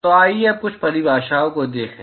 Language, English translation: Hindi, So, let us look at a few definitions now